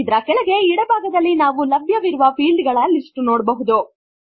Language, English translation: Kannada, Below this, we see a list of available fields on the left hand side